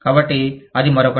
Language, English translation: Telugu, So, that is another one